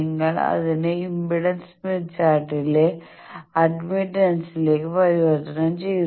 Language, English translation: Malayalam, You would convert it to admittance on impedance smith chart